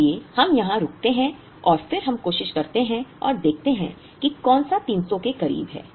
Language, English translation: Hindi, Therefore, we stop here and then we try and see which one is closer to 300